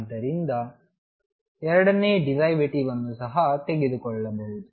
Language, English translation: Kannada, So, that the second derivative can be also taken